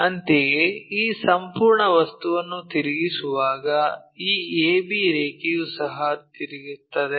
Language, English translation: Kannada, Similarly, when we are rotating this entire thing this a b line also gets rotated